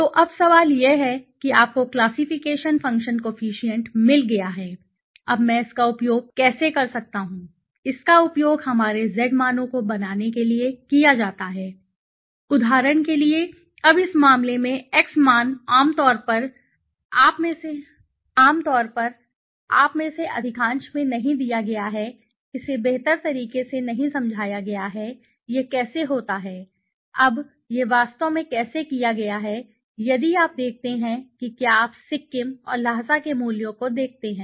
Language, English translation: Hindi, So, now the question is you have got the classification function coefficient now how can I use this now this is used to create our z values for example now x value in this case generally you do not this you know thing is not given in most of the it is not explained in a better way now how it is happen now this is how it has been done actually now if you see if you look at the values here of the of the Sikkim and the Lhasa